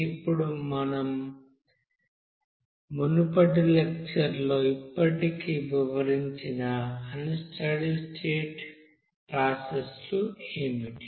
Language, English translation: Telugu, Now what are those you know unsteady state processes that already we have described in our previous lecture